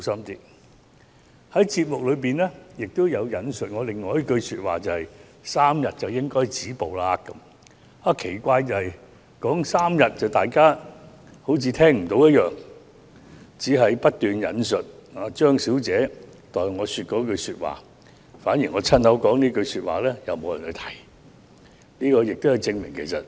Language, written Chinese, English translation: Cantonese, 該節目亦有引述我所說的另一句話，就是 "3 天便應該止步"，但奇怪的是，當我提到3天時，大家卻似乎聽不到，只是不斷引述張小姐代我所說的那番話，我親口說的一句話卻反而沒有人提述。, That episode also quotes another remark of mine which goes It should stop at three days . But strangely enough nobody seems to have heard my remark on three days . People only keep quoting the words uttered by Miss CHEUNG on my behalf and nobody has mentioned the words I spoke myself